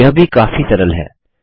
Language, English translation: Hindi, This is easy too